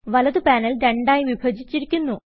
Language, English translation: Malayalam, The right panel is divided into two halves